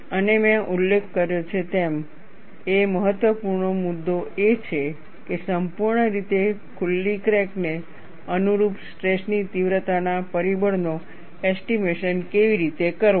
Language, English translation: Gujarati, And as I mentioned, one of the important issues is, how to estimate the stress intensity factor corresponding to fully opened crack